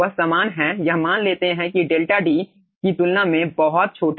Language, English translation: Hindi, they are same, assuming delta is very small than d